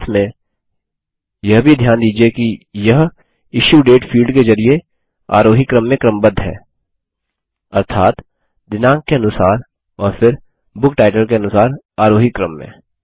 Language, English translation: Hindi, Also notice that it has been sorted by the Issue Date field in ascending order that is, chronologically and then by Book Title in ascending order